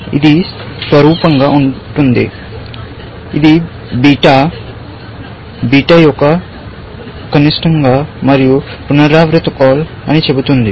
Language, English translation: Telugu, This would be analogous, which says beta is min of beta and the recursive call